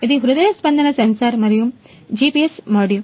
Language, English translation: Telugu, This is the heartbeat sensor and this is the GPS module